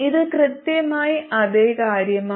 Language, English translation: Malayalam, This has exactly the opposite